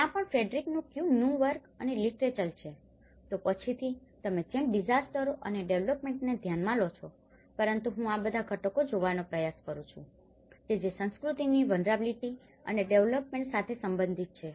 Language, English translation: Gujarati, There is also work, literature from Frederick Cuny onwards like you consider disasters and the development but I try to look all these components that relation with culture vulnerability and development